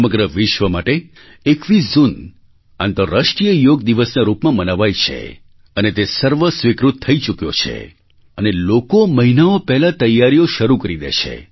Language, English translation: Gujarati, The 21stof June has been mandated and is celebrated as the International Yoga Day in the entire world and people start preparing for it months in advance